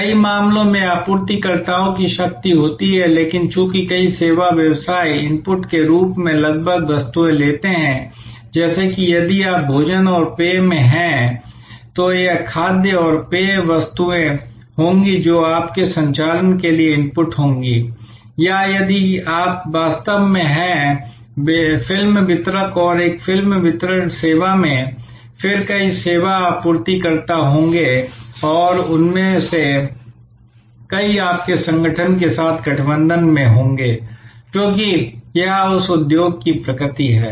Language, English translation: Hindi, Suppliers in many cases have power, but since many service businesses as inputs take almost commodity items, like if you are in food and beverage then it will be the food and beverage commodity items which will be inputs to your operations or if you are actually a movie distributor and in a movie distribution service, then there will be a number of service suppliers and many of them will be in alliance with your organization, because that is the nature of that industry